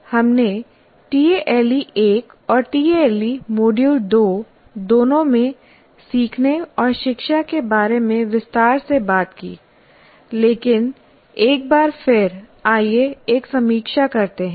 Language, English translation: Hindi, Now, we talked about learning and education extensively in both tail 1 and tail Module 2 as well, but once again let us review